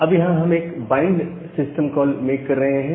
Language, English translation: Hindi, So, we are making a bind system call